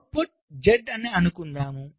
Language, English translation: Telugu, lets say output is z